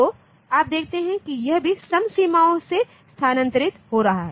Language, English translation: Hindi, So, you see that it is getting shifted by the even boundaries